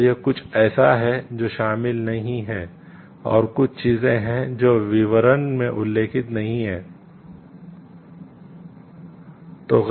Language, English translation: Hindi, So, it is something which is not included and there are certain things which are not included as mentioned in the details